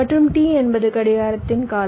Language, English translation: Tamil, ok, t is the clock period